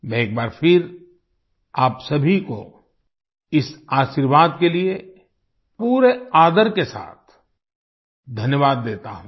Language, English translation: Hindi, I once again thank you all with all due respects for this blessing